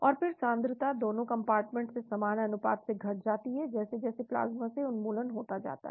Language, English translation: Hindi, So then the concentration both the compartments decreases proportionately as elimination from the plasma continues